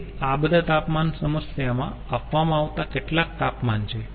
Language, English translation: Gujarati, so all these temperatures are some temperatures given in the problem